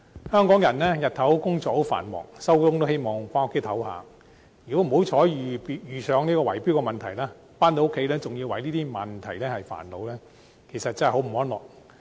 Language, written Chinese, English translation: Cantonese, 香港人白天工作繁忙，下班後都希望回家休息，如果不幸遇上圍標問題，回家仍要為這些問題而煩惱，真是生活得不太安樂。, Busy at work during the daytime Hong Kong people naturally want to take a bit of rest after returning home from work . If they are so unlucky to encounter bid - rigging and still have to be troubled by related matters after returning home they will actually be unable to live a happy life